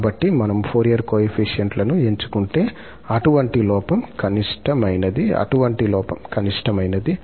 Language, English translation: Telugu, Now, we have to choose the Fourier coefficients to get this error or to minimize this error